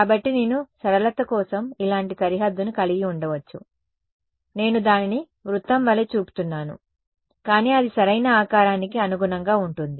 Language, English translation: Telugu, So, I may have like a boundary like this just for simplicity I am showing it like a circle, but it can take conform to the shape of the thing right